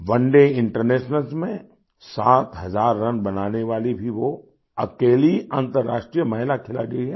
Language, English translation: Hindi, She also is the only international woman player to score seven thousand runs in one day internationals